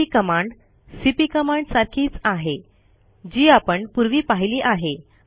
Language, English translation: Marathi, mv is very similar to cp which we have already seen